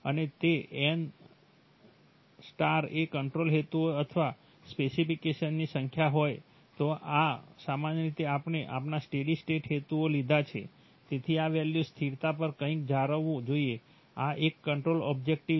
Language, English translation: Gujarati, And if n* is the number of control objectives or specifications, typically we have taken our steady state objectives, so something should be maintained at this value constant, this is one control objective